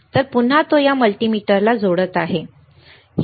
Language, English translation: Marathi, So, again he is connecting this multimeter, right